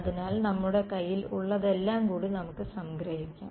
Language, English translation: Malayalam, So, let us just sort of summarize what all we have